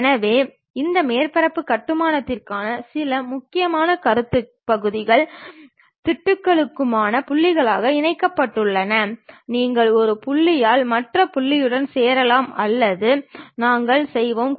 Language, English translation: Tamil, So, some of the important concepts for this surface constructions are join points for segments and patches either you join by one point to other point or by patches we will do